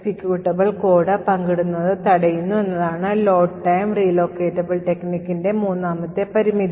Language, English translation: Malayalam, The, third limitation of load time relocatable technique is that it prevents sharing of executable code